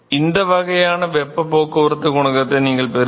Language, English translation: Tamil, So, this is the kind of heat transport coefficient profile that you will get